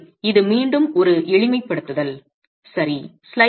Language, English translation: Tamil, So, this is again a simplification